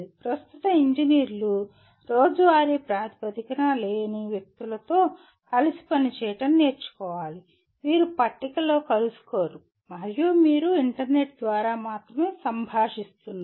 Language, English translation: Telugu, The present day engineers will have to learn to work with people who are not on day to day basis you are not meeting across the table and you are only interacting over the internet